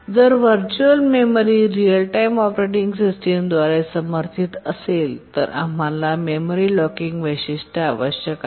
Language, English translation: Marathi, If virtual memory is supported by a real time operating system then we need the memory locking feature